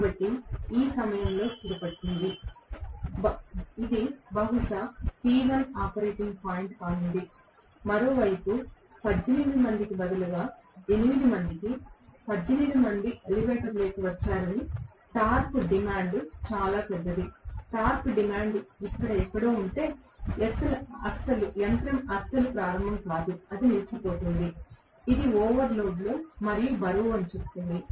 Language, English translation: Telugu, So, it will settle down at this point, which is probably P1 that is going to be the operating point, on the other hand instead of 18 people, 8 people, say 18 people have gotten into the elevator, the torque is very large the demand, if the torque demand happens to be somewhere here, the machine will not start at all, it will just stall, it will say overload and weight